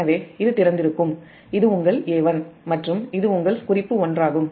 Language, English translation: Tamil, so this will remain open and this is your a dash and this is your reference one